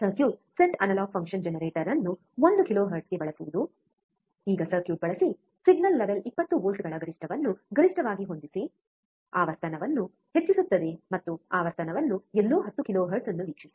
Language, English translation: Kannada, Using the circuit set analog function generator to 1 kilohertz now using the circuit adjust the signal level 20 volts peak to peak increase the frequency and watch the frequency somewhere about 10 kilohertz